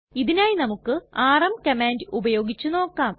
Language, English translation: Malayalam, Let us try the rm command to do this